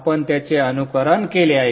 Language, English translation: Marathi, We have simulated it